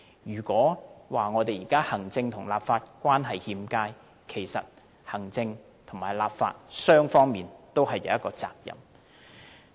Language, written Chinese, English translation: Cantonese, 如果說現時行政立法關係欠佳，其實行政立法雙方也有責任。, In fact both the executive and the legislature are responsible for the poor relationship between them